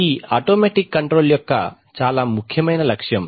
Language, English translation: Telugu, That is a very important objective of automatic control